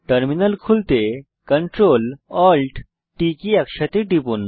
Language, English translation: Bengali, Press CTRL+ALT+T simultaneously to open the Terminal